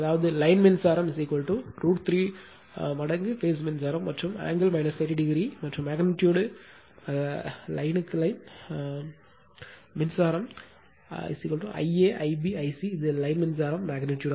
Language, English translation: Tamil, That means, line current is equal to root 3 times the phase current and angle is minus 30 degree right and magnitude wise line current is equal to I a I b I c that is line current magnitude